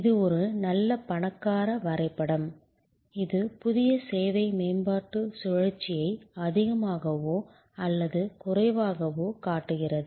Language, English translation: Tamil, This is a very good rich diagram; it shows more or less the entire new service development cycle